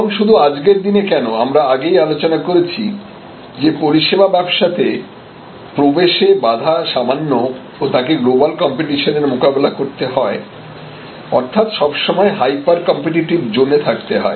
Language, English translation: Bengali, And why in today service business, because we have already discuss service businesses are the entry barrier is low service businesses are very open to global competition service businesses therefore, always almost always in a hyper competitive zone